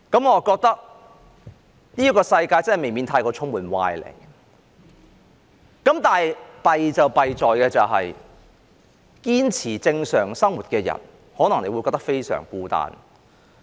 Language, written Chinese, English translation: Cantonese, 我覺得這世界未免充斥歪理，但糟糕的是，堅持正常生活的人可能會感到非常孤單。, I find the world indeed full of sophistry . But miserably those who insist on living a normal life may feel very lonely